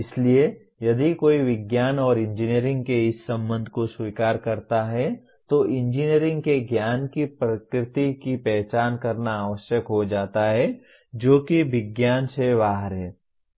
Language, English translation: Hindi, So if one accepts this relationship of science and engineering it becomes necessary to identify the nature of knowledge of engineering which is outside science